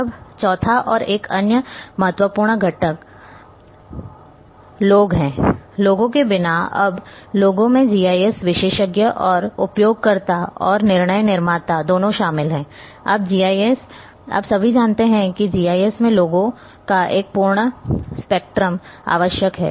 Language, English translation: Hindi, Now, the fourth and another important component the people, without people, now people includes both the GIS experts and users and decision makers all kinds of you know a full spectrum of people are required in a GIS